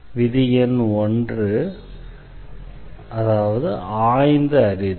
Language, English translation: Tamil, So, the rule number 1 is just by inspection